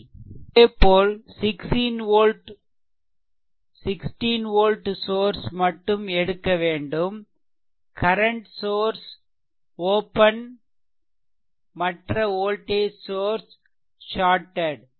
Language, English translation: Tamil, Similarly, when I mean when this 16 volt source is taken, but current source is open and when another voltage source is shorted